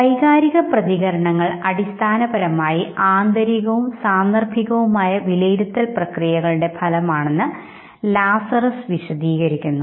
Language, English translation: Malayalam, Now Lazarus now said that emotional responses are basically outcome of internal and situational appraisal processes okay